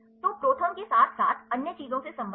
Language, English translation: Hindi, So, related with the ProTherm as well as other things